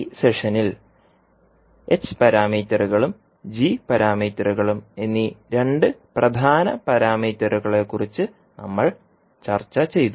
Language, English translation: Malayalam, In this session we discussed about two important parameters which were h parameters and g parameters